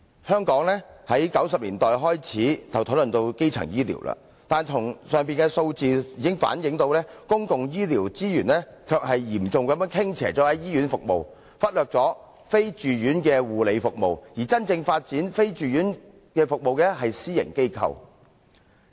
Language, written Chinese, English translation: Cantonese, 香港自1990年代開始討論基層醫療，但從上述的數字反映，公共醫療資源卻是嚴重傾斜於醫院服務，忽略了非住院護理服務，而真正發展非住院服務的是私營機構。, There has been discussion on primary health care in Hong Kong since 1990s . However from the above figures we learn that public health care resources are seriously lopsided towards hospital services while ambulatory health care services are being overlooked and private institutions are actually the ones developing ambulatory health care services